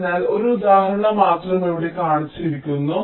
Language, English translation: Malayalam, so just an example is shown here